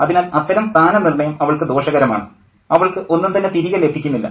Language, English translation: Malayalam, So that kind of positioning is harmful to her, and she doesn't get any return, you know